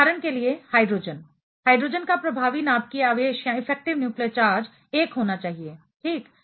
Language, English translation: Hindi, For example, hydrogen; hydrogens effective nuclear charge should be 1 ok